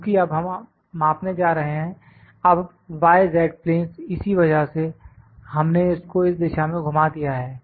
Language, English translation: Hindi, Because, we are going to measure now the y z planes that is why we have turned this to this direction